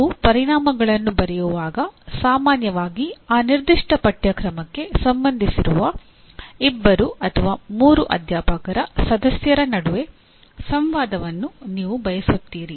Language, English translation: Kannada, And when you write outcomes, generally you want a discourse between the two or three faculty members who are concerned with that particular course